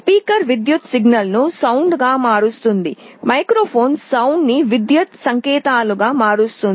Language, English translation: Telugu, A speaker converts an electrical signal to sound; microphone converts sound into electrical signals